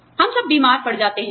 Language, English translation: Hindi, We all fall sick